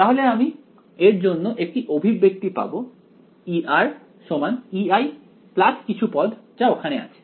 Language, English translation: Bengali, So, I will get an expression for E r is equal to E i plus this term over here